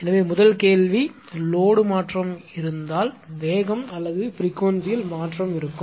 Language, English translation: Tamil, So, first question is if there is a change in load there will be change in speed or frequency right